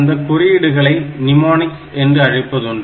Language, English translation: Tamil, So, these codes are called mnemonics